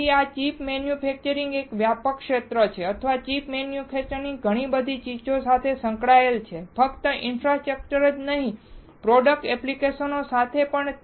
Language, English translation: Gujarati, So, this chip manufacturing is a broad area or chip manufacturer is associated with lot of things not only infrastructure, but also product applications